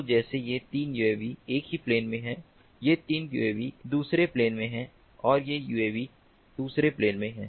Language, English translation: Hindi, so, like these three uavs are in the same plane, these three uavs are in another plane and these this uav is another plane